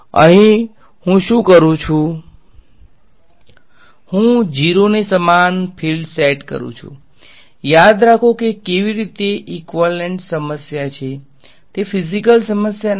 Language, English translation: Gujarati, Here what I do is I set the fields equal to 0 remember this is how equivalent problem it is not a physical problem